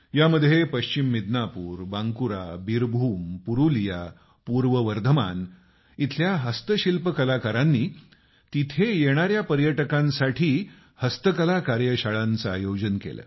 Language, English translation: Marathi, The Handicraft artisans from West Midnapore, Bankura, Birbhum, Purulia, East Bardhaman, organized handicraft workshop for visitors